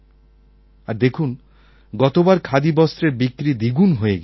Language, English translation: Bengali, Look, last year we almost doubled the Khadi sale